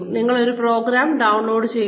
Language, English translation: Malayalam, You download the program